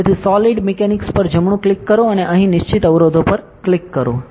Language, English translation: Gujarati, So, right click on solid mechanics and click fixed constraints here